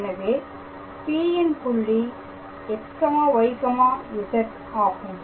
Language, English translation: Tamil, So, the point P is 1, 2, 3